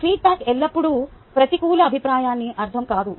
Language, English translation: Telugu, a feedback doesnt necessarily always mean negative feedback